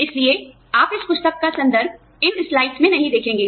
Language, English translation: Hindi, So, you will not see, references to this book, in these slides